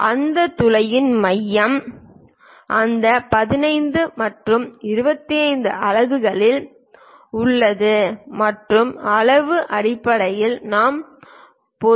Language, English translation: Tamil, The center of that hole is at that 15 and 25 units and the size basically diameter we usually represent